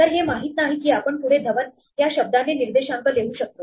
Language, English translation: Marathi, So, it does not know that we can further index with the word Dhawan